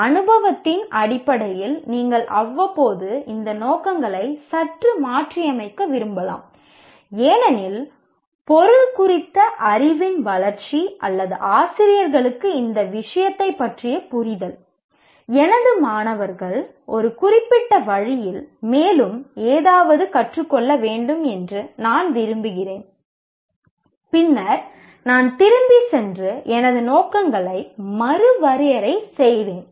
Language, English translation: Tamil, You may want to from time to time slightly readjust these objectives because either the growth in the knowledge of the related to that subject or the teacher's own understanding of the subject or based on the experience, I want my students to learn something more specific in a particular way, then I'll go back and redefine my objectives